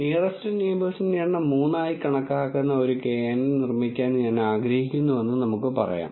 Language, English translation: Malayalam, And let us say I want to build a knn which takes the number of nearest neighbours as 3